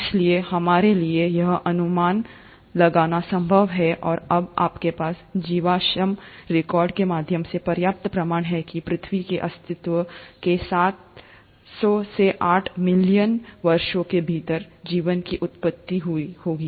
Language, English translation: Hindi, So, it is possible for us to speculate and now you have enough proofs through fossil records that the life must have originated within seven hundred to eight million years of earth’s existence